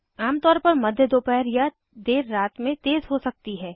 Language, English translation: Hindi, Typically mid afternoon or late night may be fast